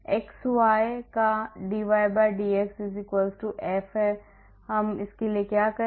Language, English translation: Hindi, So, what we do